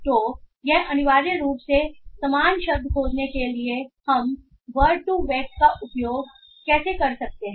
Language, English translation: Hindi, So this is essentially how we can use word to web to find similar words